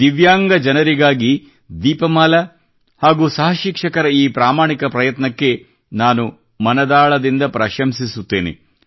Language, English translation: Kannada, I deeply appreciate this noble effort of Deepmala ji and her fellow teachers for the sake of Divyangjans